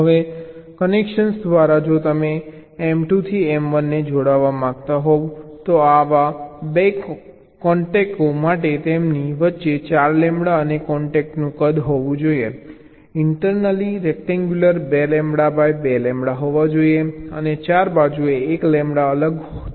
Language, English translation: Gujarati, now, regarding the via connection, so if you want to connect m two to m one, then there for two such contacts, separation between them should the four lambda, and the size of the contact, the rectangle internally should be two lambda by two lambda, and separation on the four side should be one lambda each